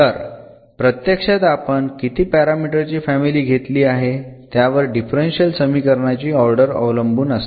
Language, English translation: Marathi, So, the order of the differential equation will be dependent actually how many parameter family we have taken